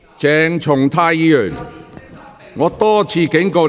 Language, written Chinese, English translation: Cantonese, 鄭松泰議員，請坐下。, Dr CHENG Chung - tai please sit down